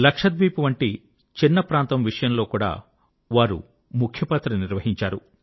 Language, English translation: Telugu, He played a far more significant role, when it came to a small region such as Lakshadweep too